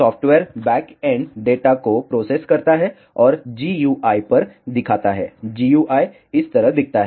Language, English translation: Hindi, The software backend processes the data and displays on to a GUI the GUI looks like this